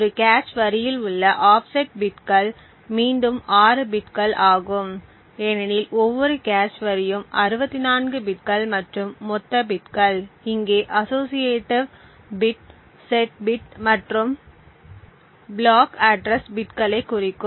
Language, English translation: Tamil, The offset bits within a cache line is again 6 bits because each cache line is of 64 bits and something known as total bits which represents the associated bits, set bits and block address bits